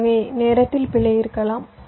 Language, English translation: Tamil, so there is an error situation here